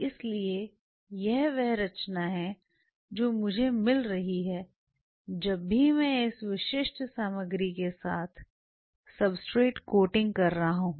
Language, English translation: Hindi, So, this is the composition I am getting whenever when I am coating the substrate with this is specific material right